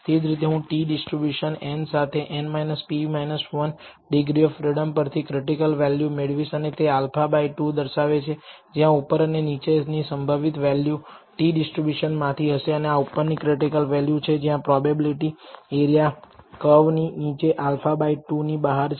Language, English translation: Gujarati, Correspondingly I will find the critical value from the t distribution n with n minus p minus 1 degrees of freedom and this represents alpha by 2 the upper lower value probability value from the t distribution and this is the upper critical value where the probability area under the curve beyond the value is alpha by 2